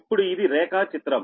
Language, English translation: Telugu, now this is the diagram